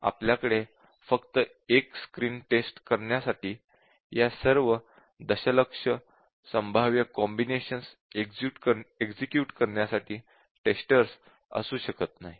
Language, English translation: Marathi, We cannot really have testers running all these million possible combinations just for checking 1 screen